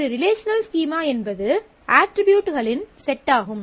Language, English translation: Tamil, A relational schema is a set of attributes